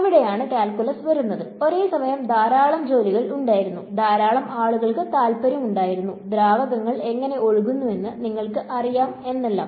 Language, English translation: Malayalam, So, that is where calculus comes in and simultaneously a lot of work was a lot of people were interested in how do fluids flow you know whether